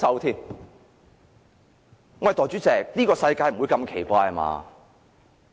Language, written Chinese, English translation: Cantonese, 代理主席，這個世界不會如此奇怪吧？, Deputy Chairman the world does not work like this does it?